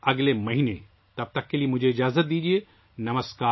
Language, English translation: Urdu, We'll meet next month, till then I take leave of you